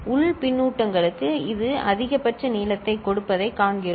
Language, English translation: Tamil, For internal feedback also we see that it is giving maximal length